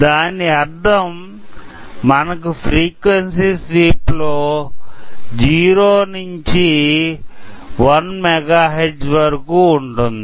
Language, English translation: Telugu, So, this means that I am going to give a frequency sweep and measure across 0 to 1 megahertz